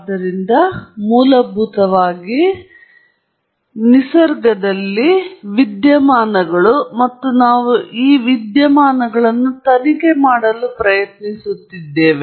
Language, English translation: Kannada, So, basically, we have, you know, phenomena in nature and we are trying to investigate this phenomena